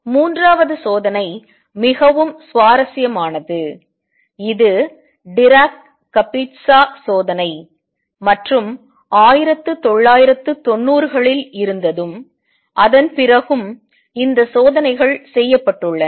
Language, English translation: Tamil, Third experiment which was very interesting which was propose way back is Dirac Kapitsa experiment and in 1990s and after that these experiments have also been performed